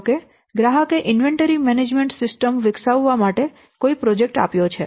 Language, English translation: Gujarati, So because suppose he wants to the customer has given a project to develop an inventory management system